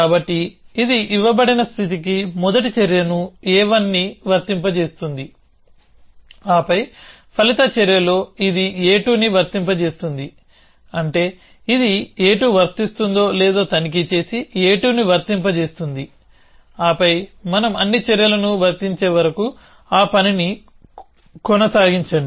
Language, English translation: Telugu, So, it will apply first action a 1 to given state, then in the resulting action it will apply a 2, which means it check whether a 2 is applicable and apply a 2 and then keep doing that till we apply all the actions